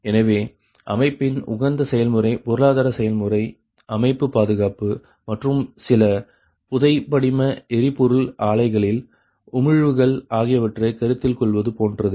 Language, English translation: Tamil, right, so the optimum operation of the system involves, like, consideration of economic operation, system security and emissions at certain fossil fuel plants